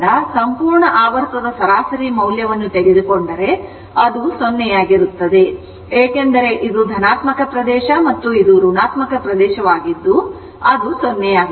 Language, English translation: Kannada, If you take average value from for the full cycle complete cycle from here to here, it will be 0 because this is positive area and this is negative area it will become 0